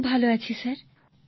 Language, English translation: Bengali, Very well Sir